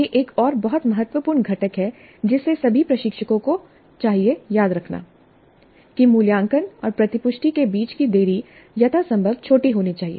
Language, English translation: Hindi, This is another very important component that all instructors must remember that the delay between the assessment and feedback must be as small as possible